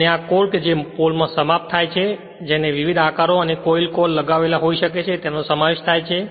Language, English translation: Gujarati, And consist of core terminating in a pole shoe which may have various shapes and coil mounted on the core